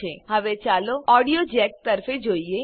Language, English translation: Gujarati, Now, lets look at the audio jacks